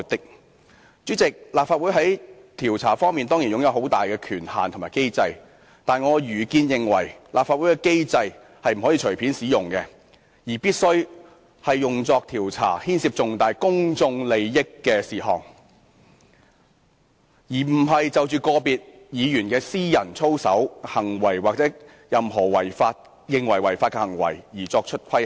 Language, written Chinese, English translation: Cantonese, "代理主席，立法會在調查方面當然擁有很大權限和機制，但依我愚見，立法會機制不能隨便使用，必須用作調查牽涉重大公眾利益的事項，而不是就個別議員的私人操守、行為或任何被認為屬違法的行為作出規限。, Deputy President the Legislative Council certainly possesses enormous powers and a mechanism in conducting investigations . However my humble opinion is that the mechanism of the Legislative Council should not be activated casually . It must be activated only for the purpose of investigating matters of significant public interest